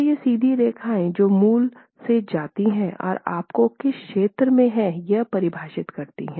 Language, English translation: Hindi, So, these two lines are straight lines that go from the origin and define into which region you would fall